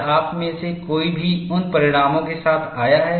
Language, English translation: Hindi, Have any one of you come with those results